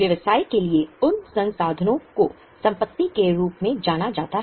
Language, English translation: Hindi, Those resources for the business are known as the assets